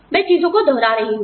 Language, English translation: Hindi, I am revising things